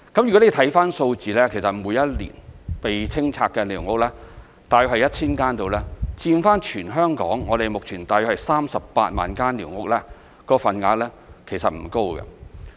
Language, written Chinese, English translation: Cantonese, 如果看看數字，其實每一年被清拆的寮屋大約是 1,000 間，以全港目前大約38萬間寮屋來說，份額其實不高。, If we look at the figures about 1 000 squatters are demolished each year . The percentage is small given that there are about 380 000 squatters in Hong Kong currently